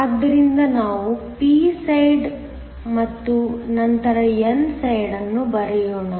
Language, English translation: Kannada, So, let us write down the p side and then n side